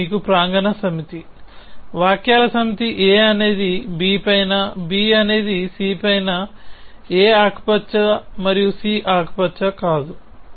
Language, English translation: Telugu, So, this is what is given to you the set of premises, the set s of sentences that a is on b, b is on c, a is green and c is not green